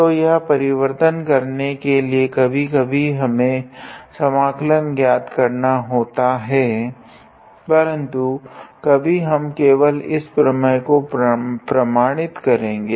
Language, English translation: Hindi, So, just to do this conversion it sometimes we may be able to evaluate the integral easily, but right now we will just verify this theorem